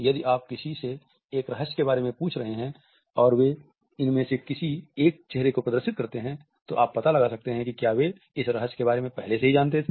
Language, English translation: Hindi, If you are asking someone about a secret and they show either one of these faces, you can find out if they already knew